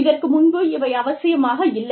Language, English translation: Tamil, They were not necessary, earlier